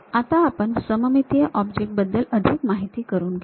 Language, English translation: Marathi, Let us look at more details about the symmetric object